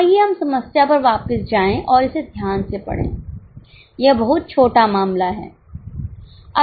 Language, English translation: Hindi, Let us go back to the problem and read it carefully